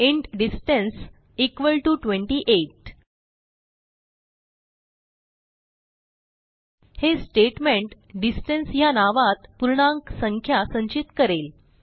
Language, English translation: Marathi, int distance equal to 28 This statement stores the integer value in the name distance